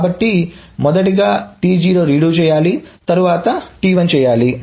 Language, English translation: Telugu, So, redo of T0 must be done in the first and then T1